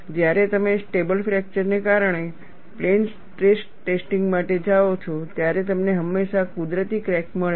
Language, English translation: Gujarati, When you go for plane stress testing, because of stable fracture, you invariably get a natural crack